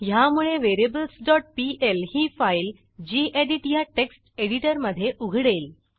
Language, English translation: Marathi, This will open the variables.pl file in gedit text editor